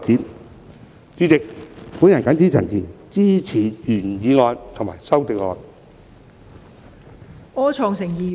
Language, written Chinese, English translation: Cantonese, 代理主席，我謹此陳辭，支持原議案及修正案。, Deputy President with these remarks I support the original motion and the amendment